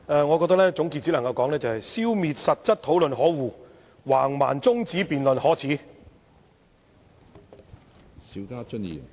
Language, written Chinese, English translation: Cantonese, 我只能說：消滅實質討論可惡，橫蠻中止辯論可耻。, All I can say is It is disgusting to stifle the substantive discussion and shameless to adjourn the debate in a rude manner